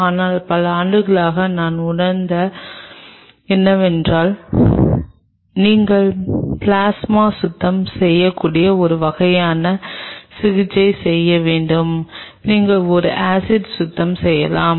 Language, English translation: Tamil, But over the years what I have realized that what is over the case you need to do some sort of a treatment you can do a plasma cleaning, you can do an acid cleaning